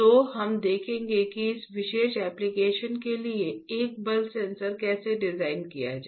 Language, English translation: Hindi, So, we will see how to design a force sensor for that particular application, cool alright